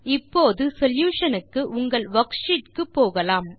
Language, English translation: Tamil, Now, switch to your worksheet for solution